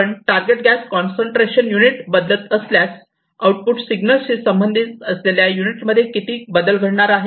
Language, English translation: Marathi, If you are changing the target gas concentration unit concentration change, how much is the unit change in the output signal, with respect to it